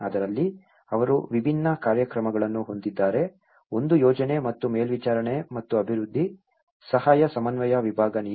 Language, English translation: Kannada, In that, they have different programs; one is the policy at planning and monitoring and development, assistance coordination division